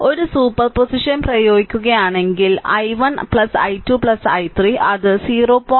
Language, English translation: Malayalam, If you apply a super position, i 1 plus i 2 plus i 3 it be 0